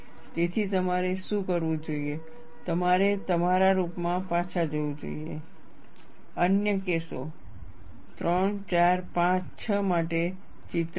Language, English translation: Gujarati, So, what you should do is, you should go back to your rooms, fill in the pictures for the other cases 3, 4, 5, 6